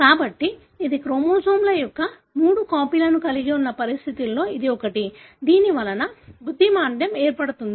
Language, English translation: Telugu, So, this is one of the conditions, wherein you have three copies of the chromosomes resulting in a mental retardation